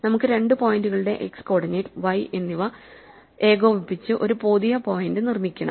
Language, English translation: Malayalam, Let us assume that we want to construct a new point whose x coordinate and y coordinate is the sum of the two points given to us